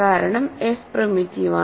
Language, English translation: Malayalam, Because f is primitive